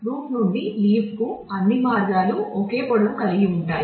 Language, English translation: Telugu, All paths from root two leaf are of the same length